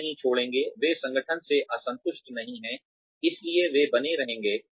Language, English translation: Hindi, They will not leave, they are not dis satisfied, with the organization so they will stay